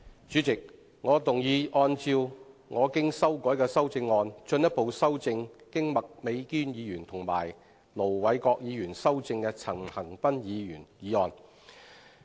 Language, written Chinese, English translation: Cantonese, 主席，我動議按照我經修改的修正案，進一步修正經麥美娟議員及盧偉國議員修正的陳恒鑌議員議案。, President I move that Mr CHAN Han - pans motion as amended by Ms Alice MAK and Ir Dr LO Wai - kwok be further amended by my revised amendment